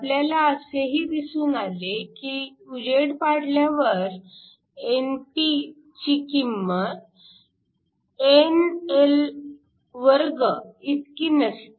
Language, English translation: Marathi, We also found that when you shine light, your Np is not equal to ni2